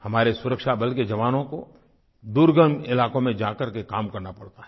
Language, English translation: Hindi, Jawans from our security forces have to perform duties in difficult and remote areas